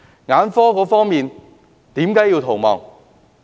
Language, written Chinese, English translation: Cantonese, 眼科醫生為何要逃亡？, What is the reason for the exodus of ophthalmologists?